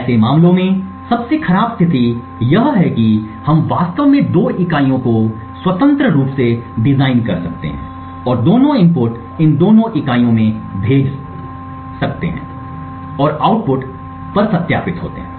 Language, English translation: Hindi, In such cases the worst case situation is where we could actually have two units possibly designed independently and both inputs are sent into both of these units and verified at the output